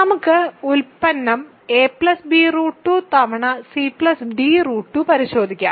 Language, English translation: Malayalam, So, let us check the product a plus b root 2 times c plus d root 2